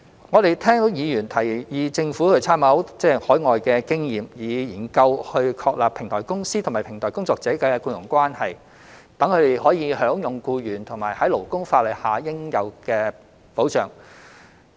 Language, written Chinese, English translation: Cantonese, 我們聽到議員提議政府應參考海外的經驗，以研究確立平台公司與平台工作者的僱傭關係，讓他們享有僱員於勞工法例下應有的保障。, We have heard some Members suggestion that the Government should make reference to overseas experience and consider establishing an employment relationship between platform companies and platform workers so that platform workers can enjoy the protection that employees are entitled to under labour laws